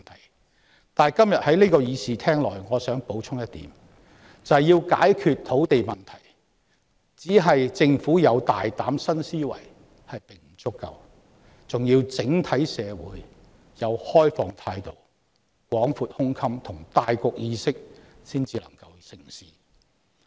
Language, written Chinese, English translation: Cantonese, 然而，今天我想在這個會議廳內補充一點：要解決土地問題，單靠政府有大膽新思維並不足夠，還要整體社會抱持開放態度、廣闊胸襟和大局意識才能成事。, However today in the Chamber I wish to add one point to solve the land problem the Governments bold and new thinking alone does not suffice; society in general must embrace a liberal attitude an open mind and an awareness of the overall situation to strike success